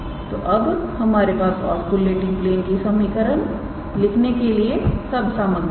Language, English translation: Hindi, So, now, we have all the ingredients to write the equation of the oscillating plane